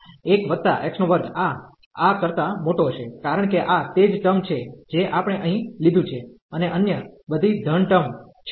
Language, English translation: Gujarati, So, 1 plus x square this will be larger than this one, because this is exactly the same term we have taken here and all other are positive terms